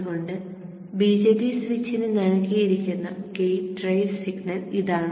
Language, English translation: Malayalam, So this is the gate drive signal which is given to the BJT switch